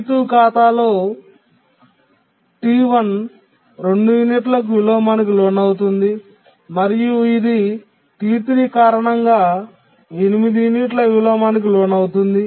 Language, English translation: Telugu, So, here, T1 undergoes inversion for two units on account of T2 and it can undergo inversion of eight units on account of T3